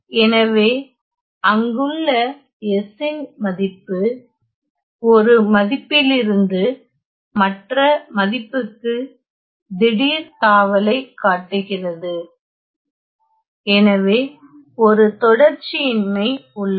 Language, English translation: Tamil, So, the value of S there is shows a sudden jump from one value to the other value; so there is a discontinuity